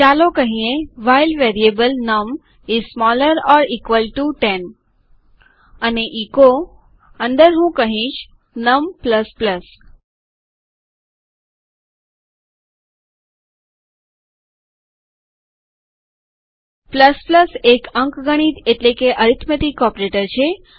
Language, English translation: Gujarati, Lets say while a variable, num is smaller or equal to 10 and under echo i can say num ++ ++ is an arithmetical operator